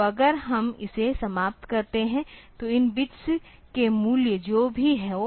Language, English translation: Hindi, So, if we do this ending then whatever be the values of these bits